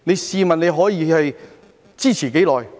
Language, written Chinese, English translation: Cantonese, 試問你可以支持多久？, How long can you hang in there?